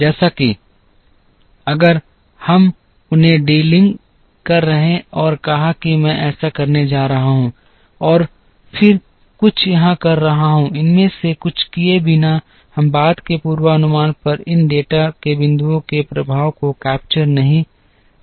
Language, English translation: Hindi, Where as if we are delink them and said I am going to do this and then some something here, without doing any of these we are not capturing the effect of these data points on a subsequent forecast